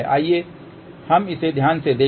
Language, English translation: Hindi, Let us just look into it carefully